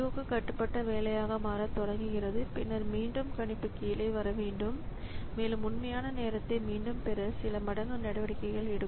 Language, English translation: Tamil, O bound job, then again the prediction has to come down and it will take quite a few time steps to again catch up with the actual time